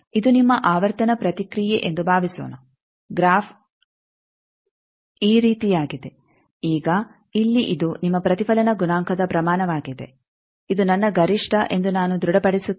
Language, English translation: Kannada, Suppose this is your frequency response the graph is like this now here this is your reflection coefficient magnitude you can find out i will fix that this is my maximum